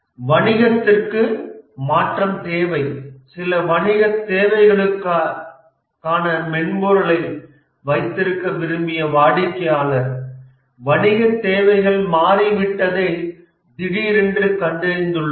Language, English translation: Tamil, The business needs change, that is the customer who wanted to have the software for certain business needs, suddenly finds that the business needs has changed